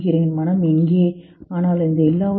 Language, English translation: Tamil, Where is the mind but in all this